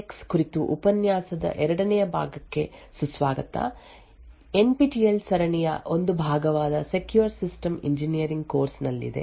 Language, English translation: Kannada, Hello and welcome to the second part of the lecture on Intel SGX this in the course for secure systems engineering just part of the NPTEL series